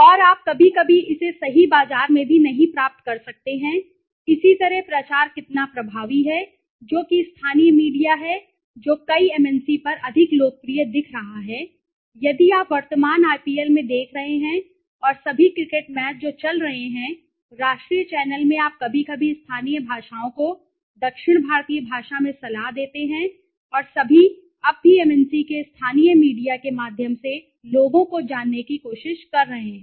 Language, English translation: Hindi, And you might sometimes not get it in right market also okay, similarly promotion how effective is advertisement right what is the local media which is more popular look at many MNC now if you are looking living in the current IPL also and all cricket matches which is going on in the national channel you see sometimes local languages adv in south Indian language and all now even MNC s are trying to release the local you know people through by using local media